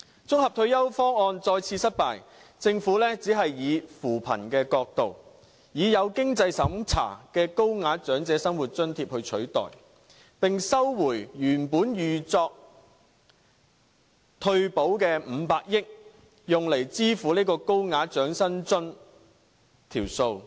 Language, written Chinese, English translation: Cantonese, 綜合性退休方案再次失敗，政府只是以扶貧的角度，以有經濟審查的高額長者生活津貼來取代，並收回原本預作退保的500億元，用來支付高額長者生活津貼的數目。, Once again we failed to put forward an integrated retirement protection scheme . The Government opted merely to replace it by adding a higher tier of means - tested assistance under OALA from the perspective of poverty alleviation in which the additional expenditure would be borne by recovering the 50 billion originally earmarked for implementing retirement protection